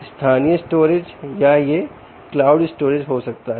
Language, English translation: Hindi, okay, it could be either local storage or it could be cloud storage